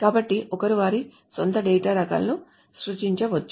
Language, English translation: Telugu, So, one can create their own data types